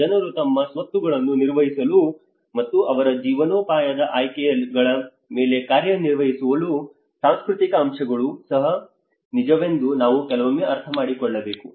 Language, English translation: Kannada, Sometimes we also have to understand it is also true the cultural factors which people manage their assets and make their livelihood choices to act upon